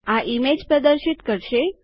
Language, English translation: Gujarati, This will display an image